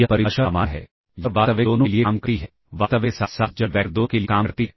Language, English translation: Hindi, So, this is a general definition of real and this is general definition that is applicable both for real and complex vectors